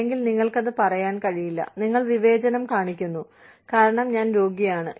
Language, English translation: Malayalam, Or, you cannot say that, you are discriminating, because i am sick